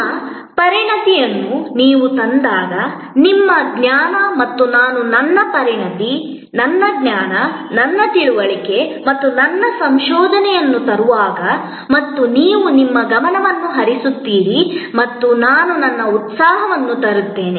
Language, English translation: Kannada, When you bring your expertise, your knowledge and I bring my expertise, my knowledge, my understanding and my research and you bring your attention and I bring my enthusiasm